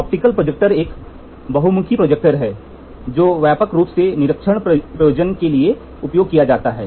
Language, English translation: Hindi, The optical projector is a versatile projector, which is widely used for inspection purpose